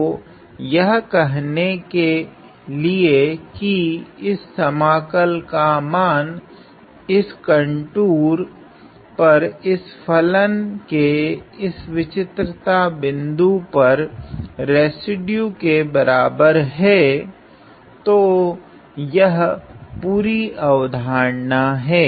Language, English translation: Hindi, To say that the value of this integral over this contour is equal to the residue of this this function at this point of singularity; so that is the whole idea